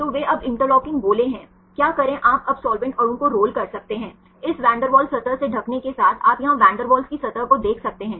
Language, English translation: Hindi, So, they are interlocking spheres now what to do you can now roll the solvent molecule, on the along the envelop of this van der Waals surface you can see the van der Waals surface here right